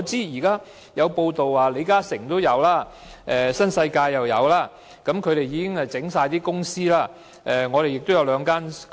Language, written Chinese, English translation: Cantonese, 有報道指出，李嘉誠及新世界集團已經為此設立上市公司。, There are reports that LI Ka - shing and the New World Group have established listed companies for this purpose